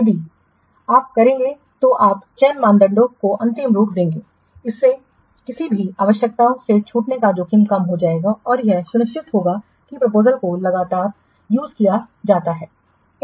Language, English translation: Hindi, So if you will do you will finalize the selection criteria, this will reduce the risk of any requirements being missed and it will ensure that the proposals are treated consistently